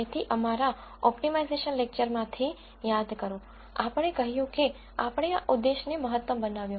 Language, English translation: Gujarati, So, remember from our optimization lectures, we said we got a maximise this objective